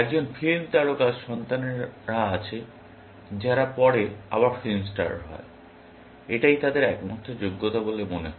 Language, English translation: Bengali, A film star has children, who become film stars, again, that seems be their only merit